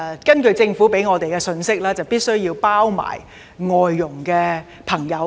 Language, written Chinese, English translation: Cantonese, 根據政府向我們發出的信息，是次修例必須涵蓋外傭。, The Government has conveyed a message to us that FDHs must be covered in the present legislative amendment exercise